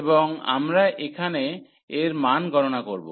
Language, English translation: Bengali, And we will compute what is the value here